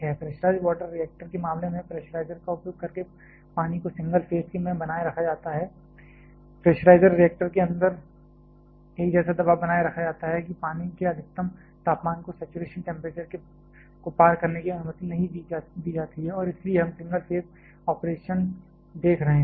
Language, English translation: Hindi, In case of pressurized water reactor, the water is maintained in single phase by using a pressurizer; the pressurizer maintains a pressure inside the reactor such that that maximum temperature of water is not allowed to cross the saturation temperature and hence we are looking single phase operation